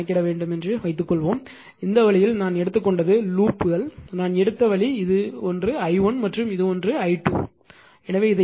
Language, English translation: Tamil, That you suppose you have to compute and this way I have taken that loops are this thing the way I have taken this is one is i 1 and this is one is like taken i 2 right